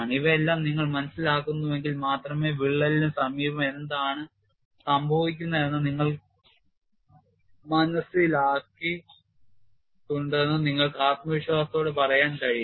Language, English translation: Malayalam, Only if you understand all of these, then you can confidently say we have understood what happens near the vicinity of the crack